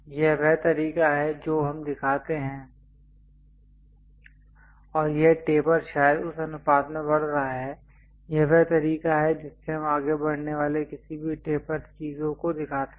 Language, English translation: Hindi, This is the way we show and this taper perhaps increasing in that ratio, this is the way any taper things we go ahead and show it